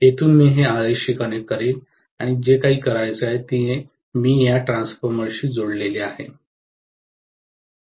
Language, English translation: Marathi, From here I will connect it to Rs and whatever I have to do and then I will connect it to this transformer